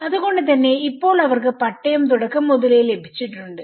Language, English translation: Malayalam, So now, they have got the pattas from the beginning